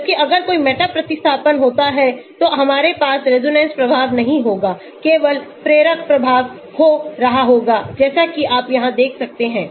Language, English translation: Hindi, Whereas if there is a meta substitution we will not have the resonance effect happening only the inductive effect will be happening as you can see here